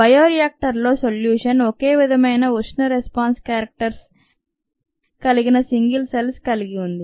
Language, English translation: Telugu, the solution in the bioreactor consist of single cells with similar thermal response characteristics